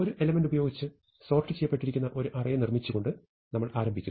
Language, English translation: Malayalam, So, we start by building a sorted sequence with one element